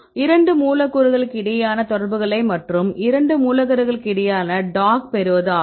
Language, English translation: Tamil, Is to get the interaction between the two molecules, the dock between two molecules